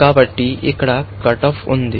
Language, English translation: Telugu, So, we have a cut off here